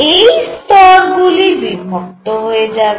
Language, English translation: Bengali, So, all these levels are going to split